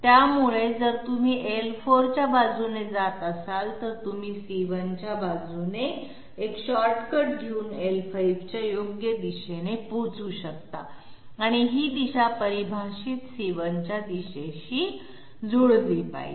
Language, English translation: Marathi, So if you are driving along L4, you can take a shortcut along C1 and reach the correct direction of L5 and this direction has to match with the direction of defined C1